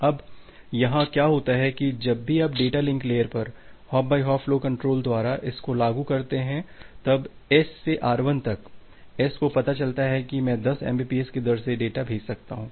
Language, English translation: Hindi, Now, what happens here that whenever you are implementing this hop by hop flow control at the data link layer, then from S to R1, the S finds out that well I can send the data at a rate of 10 mbps